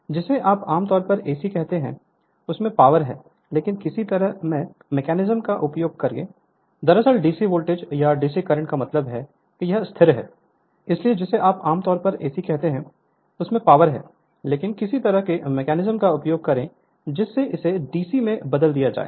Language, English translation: Hindi, So, in your what you called generally the power it is AC, but we use some kind of mechanism such that it will your what you call it will be converted to DC right